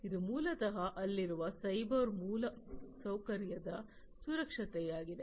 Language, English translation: Kannada, So, it is basically the security of the cyber infrastructure that is there